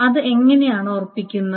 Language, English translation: Malayalam, How is it being made sure